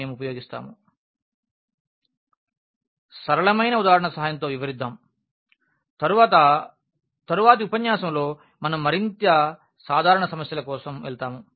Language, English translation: Telugu, Let us explain this with the help of simple example and then perhaps in the next lecture we will go for more general problems